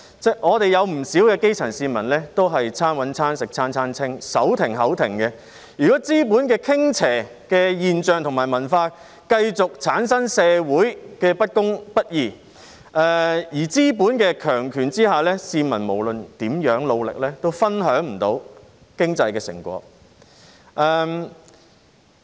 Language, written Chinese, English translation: Cantonese, 不少基層市民都是"餐搵餐食餐餐清"、"手停口停"，如果資本傾斜的現象及文化繼續產生社會的不公不義，在資本的強權下，市民無論如何努力都分享不到經濟的成果。, Many grass roots live from hand to mouth and have no savings . If this phenomenon and culture in favour of capitals continue to generate social injustice under the domineering force of capitalism no matter how hardworking the public are they still cannot share the fruits of economic success